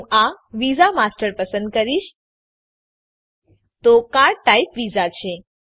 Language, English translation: Gujarati, I will choose this visa master, So card type is Visa